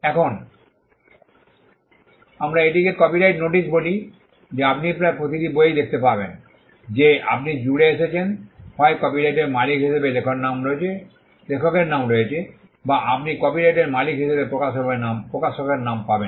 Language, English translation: Bengali, Now this is what we call a copyright notice which you will find in almost every book that you would come across, either there is the name of the author as the copyright owner or you will find the name of the publisher as the copyright owner